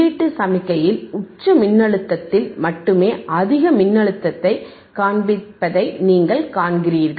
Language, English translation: Tamil, You see it is only showing the highest voltage at a peak voltage in the input signal, peak voltage in the input signal